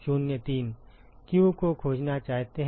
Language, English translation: Hindi, Yes we want to find q